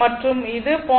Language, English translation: Tamil, So, this 0